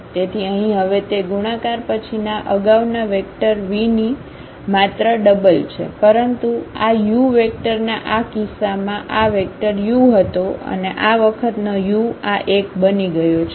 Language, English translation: Gujarati, So, here now it is just the double of this earlier vector v after the multiplication, but in this case of this u vector this was the vector u and this A times u has become this one